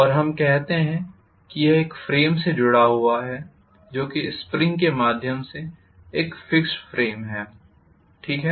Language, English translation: Hindi, And let us say this is connected to a frame which is a fixed frame through a spring, fine